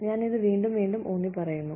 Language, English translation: Malayalam, I will stress upon this, again and again